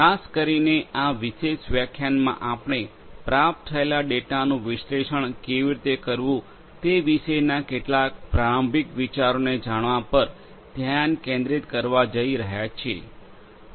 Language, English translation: Gujarati, Particularly, in this particular lecture we are going to focus on knowing some of the introductory concepts of how to analyze the data that is received